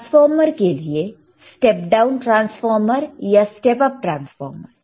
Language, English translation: Hindi, , are there rightFor transformers, step down transformer, or step up transformer